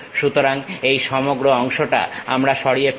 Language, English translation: Bengali, So, this entire portion we will be removing